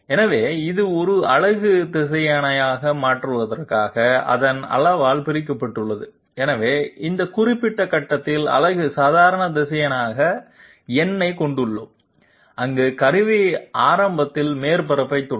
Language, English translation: Tamil, So it is divided by its magnitude in order to make it a unit vector, so we have n as the unit normal vector at this particular point, where the tool is touching the surface initially